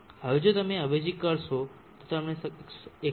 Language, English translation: Gujarati, 3 now if you substitute you will get 127